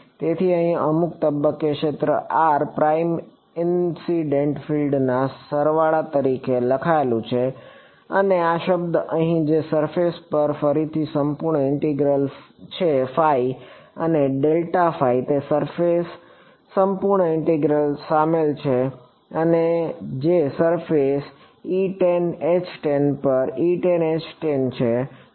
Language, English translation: Gujarati, So, the field at some point over here r prime is written as a sum of the incident field and this term over here which is a surface integral again and that surface integral includes phi and grad phi which are E tan H tan on the surface